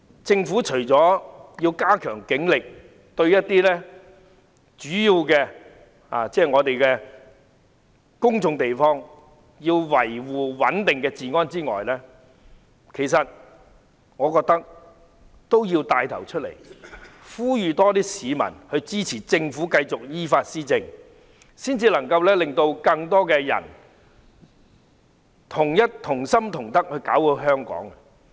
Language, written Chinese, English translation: Cantonese, 政府除了要加強警力維持主要公眾地方的治安穩定外，我認為政府也要牽頭呼籲更多市民支持它繼續依法施政，這樣才能夠令更多人同心同德，搞好香港。, I think apart from strengthening the Polices manpower to maintain law and order of major public places the Government should also take the lead and call on more people to support it in its effort to govern according to the law . Only by so doing can it encourage more people to work with one heart and one mind in turning Hong Kong into a better place